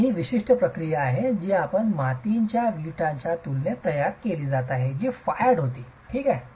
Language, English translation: Marathi, So, that is the typical process with which these are being manufactured in comparison to a clay brick which was fired